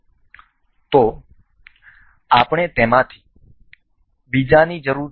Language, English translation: Gujarati, So, we need another of those